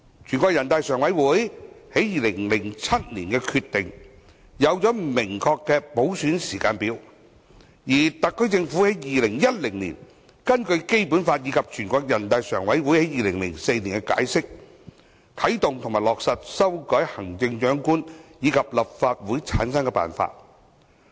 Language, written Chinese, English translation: Cantonese, 全國人民代表大會常務委員會在2007年作出的決定，制訂明確的普選時間表，而特區政府在2010年根據《基本法》及人大常委會於2004年的解釋，啟動和落實修改行政長官及立法會的產生辦法。, The decision of the Standing Committee of the National Peoples Congress NPCSC in 2007 formulated a clear timetable for universal suffrage and in 2010 the SAR Government initiated and implemented amendments to the Method for the Selection of the Chief Executive of the Hong Kong Special Administrative Region and the Method for the formation of the Legislative Council in accordance with the Basic Law and the NPCSCs interpretation in 2004